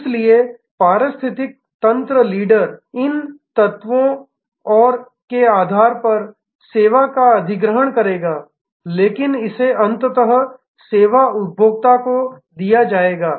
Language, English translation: Hindi, So, the eco system leader will acquire service on the basis of these elements and the, but it will be delivered to the ultimately to the service consumer